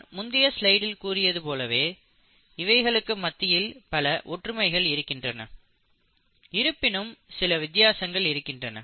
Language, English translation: Tamil, So there are, in my previous slide I said, there were plenty of similarities yet there are differences